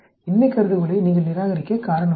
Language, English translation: Tamil, There is no reason for you to reject the null hypothesis